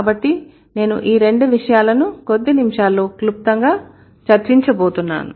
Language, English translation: Telugu, So, I'm going to briefly discuss these two issues in a few minutes